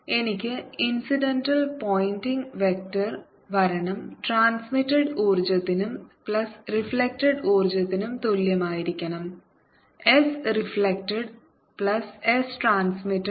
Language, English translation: Malayalam, i should have the pointing vector is coming in incident should be equal to the energy which is transmitted plus the energy which is reflected, s reflected plus s transmitted